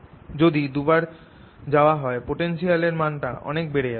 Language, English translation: Bengali, if i go twice the potential will be larger